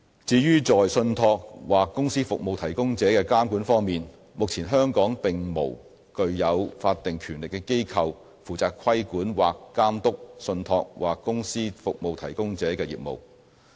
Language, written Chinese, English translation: Cantonese, 至於在信託或公司服務提供者的監管方面，目前香港並無具有法定權力的機構，負責規管或監督信託或公司服務提供者的業務。, As regards the regulation of trust or company service providers there is currently no body with statutory power in Hong Kong to regulate or monitor the business of trust or company service providers